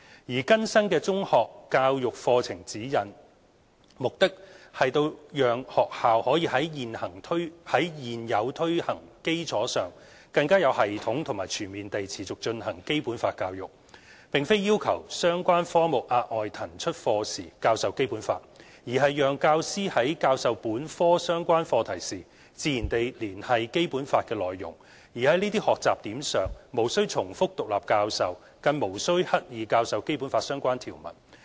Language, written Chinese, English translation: Cantonese, 而更新的《中學教育課程指引》，目的是讓學校在現有推行基礎上更有系統和全面地持續進行《基本法》教育，並非要求相關科目額外騰出課時教授《基本法》，而是讓教師在教授本科相關課題時，自然地連繫《基本法》的內容，而在這些學習點上無須重複獨立教授，更無須刻意教授《基本法》相關條文。, The updated Secondary Education Curriculum Guide SECG aims to facilitate schools continuing implementation of Basic Law education in a more structured and holistic manner by building on their existing foundation . It is not asking for additional lesson hours being put aside in relevant subjects for Basic Law education . Instead teachers may naturally connect the contents of Basic Law at appropriate junctures when teaching relevant topicsthemes